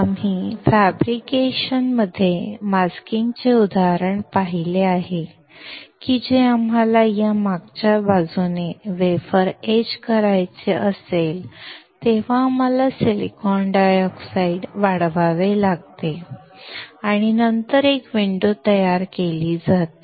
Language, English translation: Marathi, We have seen an example of masking in the fabrication that when we want to etch the wafer from the backside, we have to we have grown silicon dioxide and then have created a window